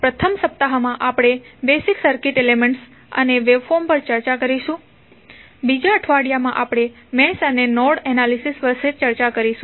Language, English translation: Gujarati, First week, we will go with the basic circuit elements and waveforms and week 2 we will devote on mesh and node analysis